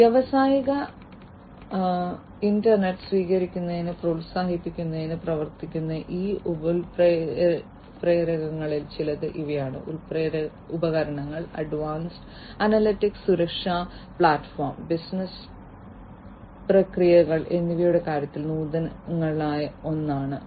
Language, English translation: Malayalam, These are some of these catalysts which will work to promote the adoption of industrial internet, innovations in terms of equipment advanced analytics safety platform and business processes is number 1